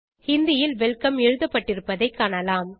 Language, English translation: Tamil, And you can see the word welcome typed in Hindi